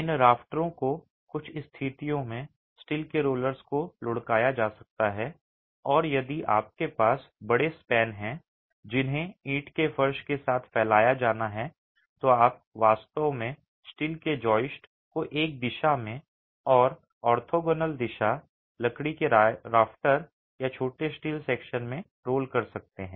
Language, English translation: Hindi, These rafters may be roll steel joists in some situations and if you have larger spans that have to be spanned with the brick flow you would actually have roll steel joists in one direction and in the orthogonal direction timber rafters or smaller steel sections